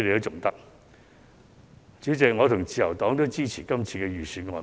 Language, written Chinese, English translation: Cantonese, 主席，我和自由黨也支持這份預算案。, Chairman the Liberal Party and I are in support of this Budget